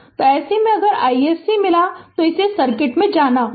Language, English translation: Hindi, So, in this case if you got I I SC, then we have to go to this circuit